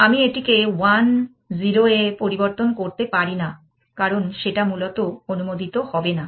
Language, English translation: Bengali, I cannot change this to 1 0 that will not be allowed essentially